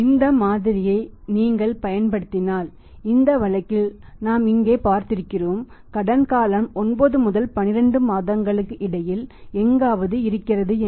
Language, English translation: Tamil, If you apply this model in our case in this situation we have seen here in this case we apply if you would find out we have got an answer here that the credit period is somewhere between 9 and 12 months